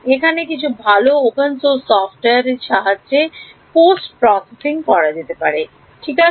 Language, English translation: Bengali, And there are good software in the open source for doing this is called post processing ok